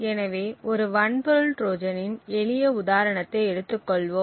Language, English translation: Tamil, So, let us take a simple example of a hardware Trojan